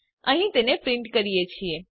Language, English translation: Gujarati, Here we print them